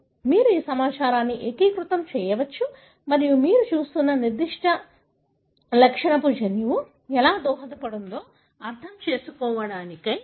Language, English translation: Telugu, So, you can integrate this information and try to understand how the genome may contribute to particular property that you are looking at